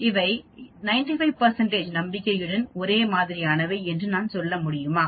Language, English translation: Tamil, Can I say they are same with 95 percent confidence